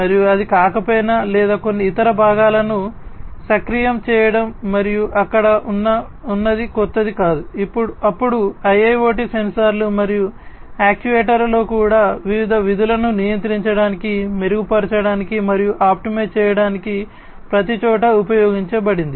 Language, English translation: Telugu, And if it is not or even if it is to actuate certain other components and that has been there it is not new, then in IIoT sensors and actuators have been also used everywhere to control, enhance, and optimize various functions